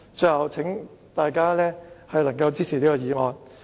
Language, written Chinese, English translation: Cantonese, 最後，請大家支持這項議案。, Lastly I urge Members to support this motion